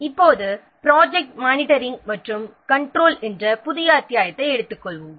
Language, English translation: Tamil, Now let's take up for a new chapter that is project monitoring and control